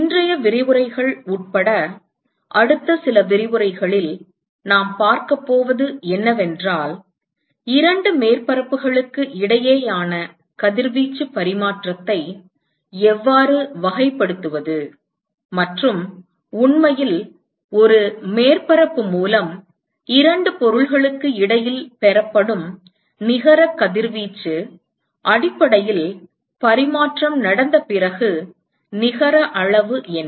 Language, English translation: Tamil, And what we are going to see in the next few lectures including today’s is that how to characterize radiation exchange between two surfaces and in fact the net radiation which is received by a surface is essentially what is the net amount after the exchange has taken place between the two objects